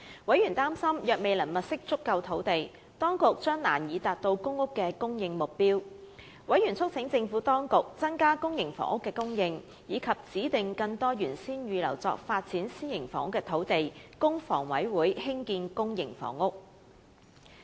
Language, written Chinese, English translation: Cantonese, 委員擔心，若當局未能物色足夠土地，將難以達到公屋的供應目標。委員促請政府當局增加公營房屋的供應，以及指定更多原先預留作發展私營房屋用途的土地，供香港房屋委員會興建公營房屋。, Worrying that it would be difficult to meet the supply target of PRH housing should the Government fail to secure adequate housing sites members urged the Government to increase public housing supply while reallocating more of those sites originally earmarked for private housing developments to the Hong Kong Housing Authority HA for construction of public housing